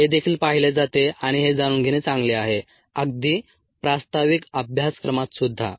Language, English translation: Marathi, this is also ah seened and it's good to know this even in a introductory course